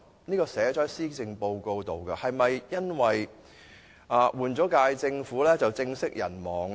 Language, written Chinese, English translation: Cantonese, 這個目標已記入施政報告中，是否因為政府換屆便政息人亡呢？, These are objectives set in previous policy addresses and shall the relevant initiatives be shelved after a new term of Government has replaced the previous one?